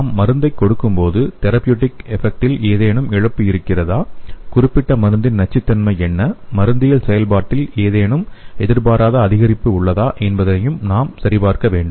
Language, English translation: Tamil, So when we give the drug we have to check whether there is any loss of therapeutic effect and what is the toxicity of the particular drug and whether any unexpected increase in the pharmacology activity